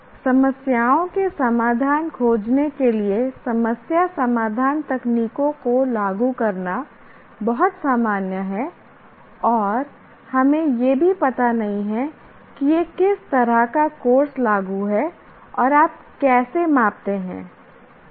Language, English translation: Hindi, Now, apply problem solving techniques to find solutions to problems is too general and we don't even know what kind of course it is applicable and how do you measure